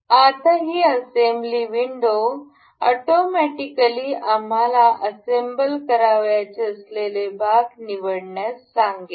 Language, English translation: Marathi, And this assembly window will automatically ask us to select the parts that have that we wish to be assembled